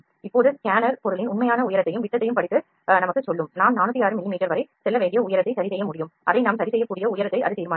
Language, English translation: Tamil, Now, the scanner will read the actual height and diameter of the object and tell us and we can fix that height we need to go up to 406 mm, it will decide the height we can fix that